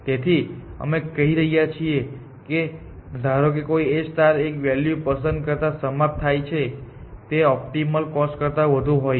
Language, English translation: Gujarati, So, we are saying that assume that a star terminates by picking a value which is more than the optimal